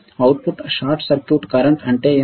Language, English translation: Telugu, What is output short circuit current